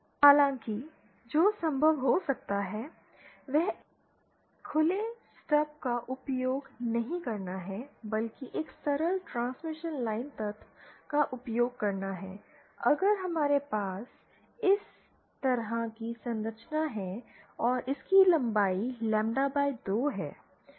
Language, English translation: Hindi, However, one that might be possible is with not using an open stop but using a simple transmission line element, if we have a structure like this and this is of length lambda by 2